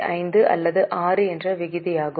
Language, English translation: Tamil, So, it is almost a ratio of 5